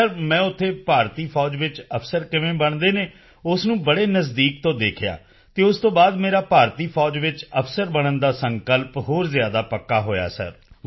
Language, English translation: Punjabi, Sir, there I witnessed from close quarters how officers are inducted into the Indian Army … and after that my resolve to become an officer in the Indian Army has become even firmer